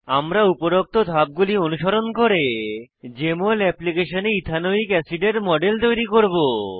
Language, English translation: Bengali, We will follow the above steps and create the model of Ethanoic acid in Jmol application